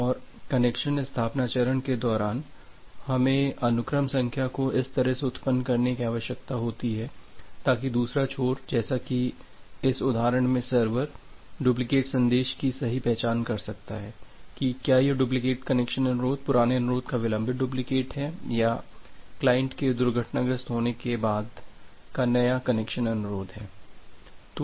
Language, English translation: Hindi, And during the connection establishment phase, we need to generate the sequence number in such a way so, that the other end like here in the exampled a server can correctly identify from a duplicate message that whether this duplicate connection request is the delayed duplicate of the old connection request or it is a new connection request after the client has crashed